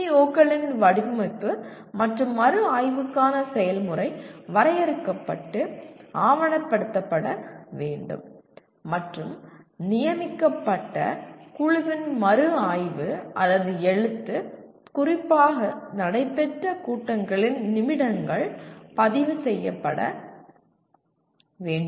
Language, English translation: Tamil, And the process for design and review of PEOs should be defined and documented and minutes of the meetings held specifically to review or write of the designated committee should be recorded